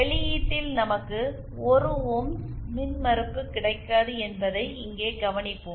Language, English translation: Tamil, And there we will observe that at the output, we do not get 1 ohms impedance